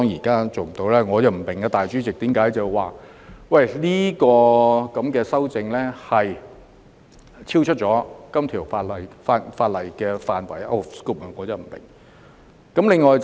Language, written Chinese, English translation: Cantonese, 其實，我不明白主席為何指我的修正案超出《條例草案》的範圍，我真的不明白。, In fact I do not understand why the President ruled my amendment as out of scope . I really do not understand